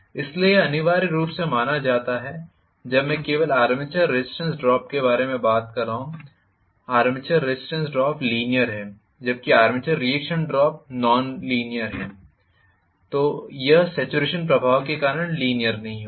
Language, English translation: Hindi, so this essentially is not considered when I am talking only about the armature resistance drop, armature resistance drop is linear whereas armature reaction drop is nonlinear, it will not be linear because of the saturation effect